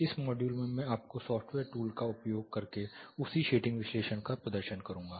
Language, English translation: Hindi, In this module, I will be demonstrating you the same shading analysis using a software tool